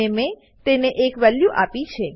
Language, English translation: Gujarati, And I have assigned a value to it